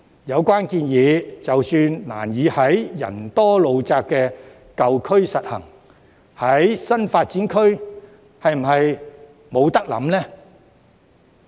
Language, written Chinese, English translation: Cantonese, 有關建議即使難以在人多路窄的舊區實行，那麼在新發展區又是否不可以考慮呢？, Even though it would be difficult to implement this proposal in the old districts where there are lots of people and the roads are narrow can we not consider implementing it in the new development areas?